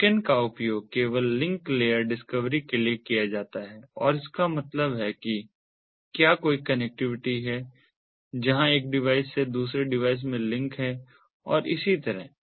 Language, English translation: Hindi, the beacons are used only for link layer discovery and that means whether there is any connectivity, where is there is any link from one device to another and so on